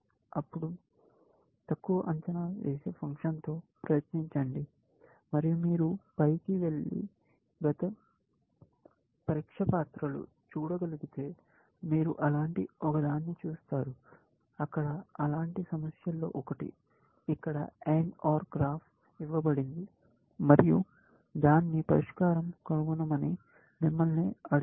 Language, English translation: Telugu, Then, try out with an under estimating function, and all you could go up and look up the past test papers, you will see one such, one of such problems there, where an AND OR graph is given, and you have been asked to find it solution